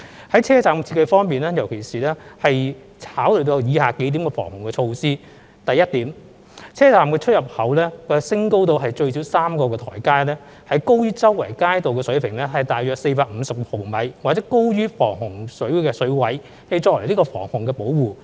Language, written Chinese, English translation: Cantonese, 在車站設計方面，特別考慮到防洪需要而設有以下數項措施：第一，車站出入口設有最少3個台階，高於周圍街道水平大約450毫米，或高於防洪水位，以作為防洪保護。, The design of MTR stations has incorporated the following features with particular regard to flood protection . Firstly station entrancesexits have at least three steps . They are around 450 mm above the surrounding street level or raised above the flood limit for flood protection